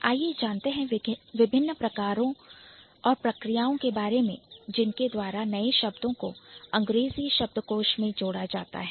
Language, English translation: Hindi, So, this is also a new way by which we can add new words to English lexicon